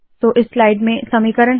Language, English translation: Hindi, So this is the equation containing slide